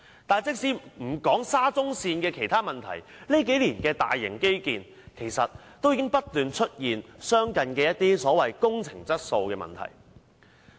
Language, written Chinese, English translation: Cantonese, 但是，即使不談沙中線的其他問題，這數年的大型基建已不斷出現相似的工程質素問題。, However leaving aside the other problems with SCL similar construction quality problems have been occurring in major infrastructure projects over the past few years